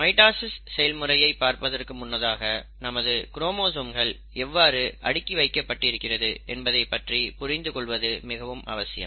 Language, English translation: Tamil, So let us come back to mitosis and before I get into the actual process of mitosis, it is very important to understand how our chromosomes are arranged